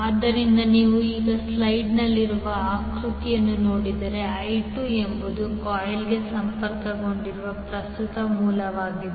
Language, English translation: Kannada, So if you see the figure in the slide now I2 is the current source connected to the coil 2